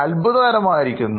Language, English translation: Malayalam, This is amazing